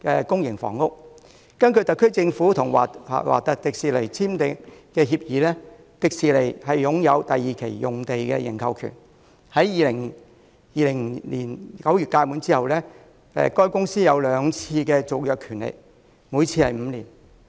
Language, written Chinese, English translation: Cantonese, 根據特區政府與華特迪士尼公司簽訂的協議，迪士尼擁有第二期用地的認購權，在2020年9月屆滿後，該公司還有兩次續期的權利，每次5年。, According to the agreement signed between the Government and The Walt Disney Company TWDC the latter has an option to purchase the site planned for the second phase development with the right to extend twice for a period of five years each time upon expiry of the option in September 2020